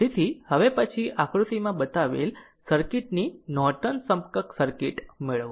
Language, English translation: Gujarati, So, next one is ah so obtain the Norton equivalent circuit of the circuit shown in figure 69